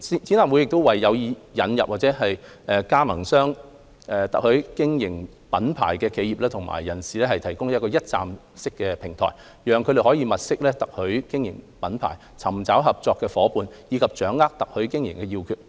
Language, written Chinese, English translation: Cantonese, 展覽會為有意引入或加盟特許經營品牌的企業或人士提供一站式平台，讓他們物色特許經營品牌、尋找合作夥伴，以及掌握特許經營要訣。, The Show is a one - stop platform for companies and individuals interested in introducing or joining franchising brands to look for franchising brands identify business partners and acquire the keys to franchising operation